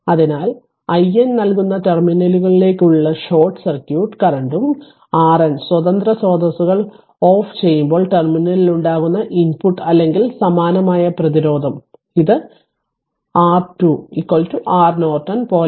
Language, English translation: Malayalam, So, where i N is short circuit current to the terminals that will give and R n is equal to input or equivalent resistance at the terminal when the independent sources are turned off right it is same like your R Thevenin is equal to R Norton